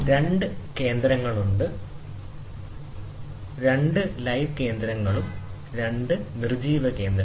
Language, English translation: Malayalam, So, there are two centers, dead center, two live centres and dead centre or two dead centres